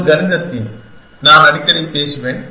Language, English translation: Tamil, A mathematical theme, which is by I keep talking about quite often